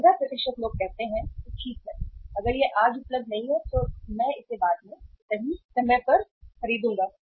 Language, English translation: Hindi, 15% of the people say that okay if it is not available today, I will buy it later on right